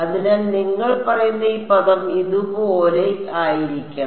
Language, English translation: Malayalam, So, this term you are saying should be like this and